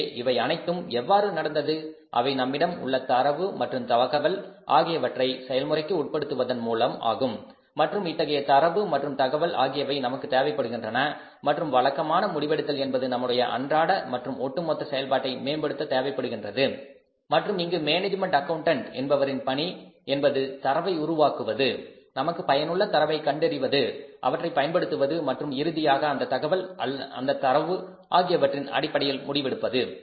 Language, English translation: Tamil, So this all has happened with the help of the say the process the data the information we have and we need this data this information and constant and regular decision making for improving of day to day process and overall performance of the firm and here management accountant's job is to generate that data, identify the data which is useful for us, make use of that and finally take the decisions based upon that information that data